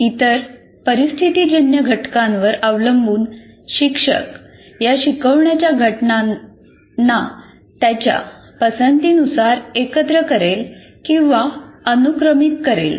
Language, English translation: Marathi, So depending on the other situational factors as well, the teacher will combine or sequence these instructional components in the way he prefers